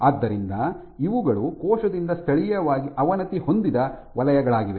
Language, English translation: Kannada, So, these are zones which have been locally degraded by the cell